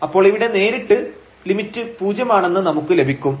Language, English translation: Malayalam, So, here this limit will go to 0